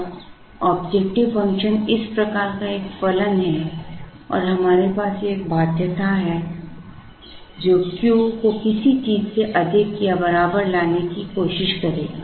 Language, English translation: Hindi, Now, the objective function is a function of this type and we have a constraint which will try and put q greater than or equal to something